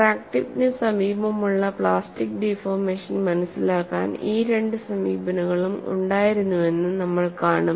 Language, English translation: Malayalam, We will just see that, these two approaches were there to understand the plastic deformation near the crack tip